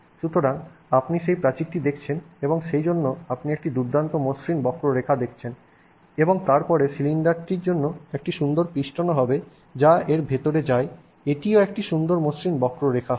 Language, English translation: Bengali, So you are seeing that wall and therefore you are seeing a nice smooth curve and then the cylinder that goes inside it will also be a nice, the piston that goes inside it will also be a nice smooth curve